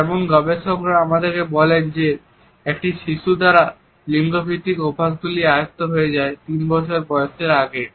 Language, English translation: Bengali, For example, researchers tell us that gender conditioning is imbibed by a child before he or she has completed 3 years of age